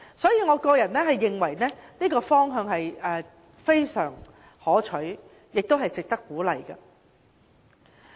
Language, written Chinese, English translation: Cantonese, 因此，我認為這個方向非常可取，亦值得鼓勵。, I thus think that an apology system is a desirable option and should be encouraged